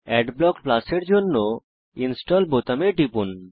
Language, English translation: Bengali, Click on the Install button for Adblock Plus